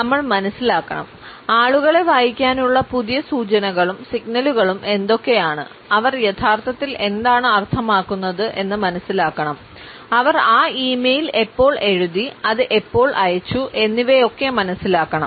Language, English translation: Malayalam, We have to understand, what are the new cues and signals of being able to read people, to understand what do they really mean, when they wrote that e mail when they sent